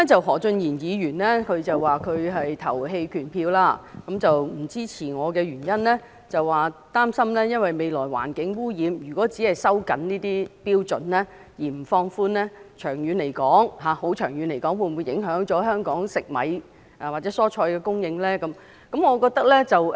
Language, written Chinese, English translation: Cantonese, 何俊賢議員表示他會投棄權票，他不支持我的原因是他擔心未來環境污染，如果只是收緊這些標準而不予放寬，長遠來說，會否影響香港食米或蔬菜的供應呢？, Mr Steven HO said that he would abstain . He does not support me because he is worried that in view of the environmental pollution in future if these standards are only tightened instead of being relaxed the supply of rice or vegetables to Hong Kong may be affected in the long term